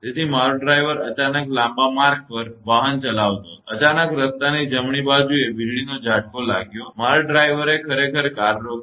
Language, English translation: Gujarati, So, my driver was driving all of a sudden on the long road; all of a sudden, there was lightning stroke on the right side of the road; my driver actually; brake the car